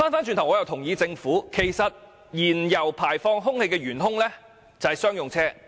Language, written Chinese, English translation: Cantonese, 其實，我也同意政府所指，車輛排放的原兇是商用車。, Actually I also agree with the Governments assertion that the culprit of vehicular emissions is commercial vehicles